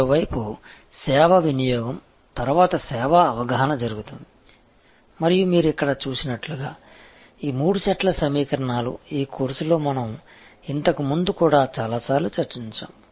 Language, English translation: Telugu, On the other hand, the service perception happens after the service consumption and as you see here, these are the three sets of equations; we have discussed number of times earlier also in this course